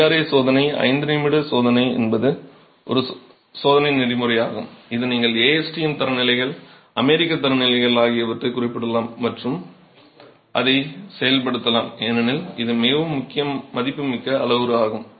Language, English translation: Tamil, The IRA test, the five minute test is a test protocol that you can refer to the ASTM standards, the American standards and carry it out because it is a very valuable parameter